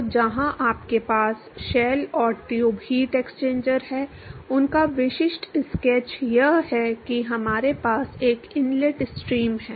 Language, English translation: Hindi, So, where you have in shell and tube heat exchanger the typical sketch of that is we have an inlet stream